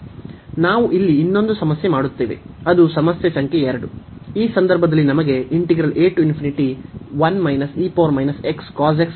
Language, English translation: Kannada, So, we do one more problem here that is problem number 2